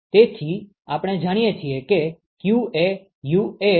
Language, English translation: Gujarati, So, if we know q q is UA deltaT lmtd